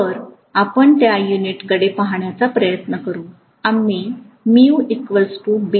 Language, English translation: Marathi, Let us try to take a look at what the units are